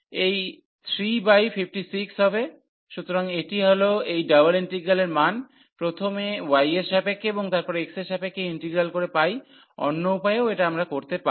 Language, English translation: Bengali, So, it will be 3 by 56, so that is the value of this double integral by taking the integral first with respect to y and then with respect to x what we can do the other way round as well